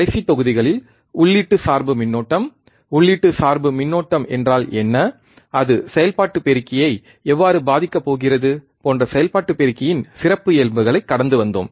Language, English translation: Tamil, In last modules, we have gone through the characteristics of an operational amplifier, such as input bias current, what exactly input bias current means, and how it is going to affect the operational amplifier